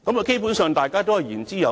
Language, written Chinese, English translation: Cantonese, 基本上，大家都言之有物。, Basically all their speeches had substance